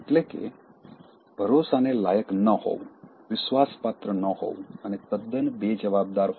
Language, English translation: Gujarati, That is, being untrustworthy, unreliable and totally irresponsible